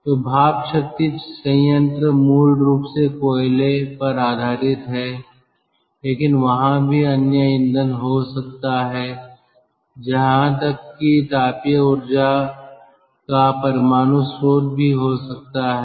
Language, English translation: Hindi, so gas turbine as steam power plant is ah basically based on coal, but there could be other fuel, even there could be ah, nuclear ah, source of thermal energy